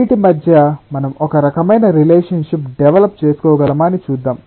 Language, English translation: Telugu, let us see that, whether we can develop a kind of relationship between these